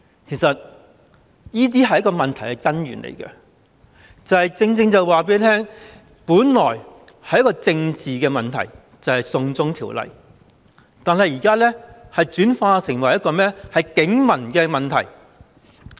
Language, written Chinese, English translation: Cantonese, 其實這些是問題的根源，正正反映出本來是一個政治的問題，就是"送中條例"，但現在已轉化成為一個警民的問題。, In fact these are the root causes of the problem which fully reflect that a supposedly political problem ie . the extradition bill has now transformed into a problem between police and civilians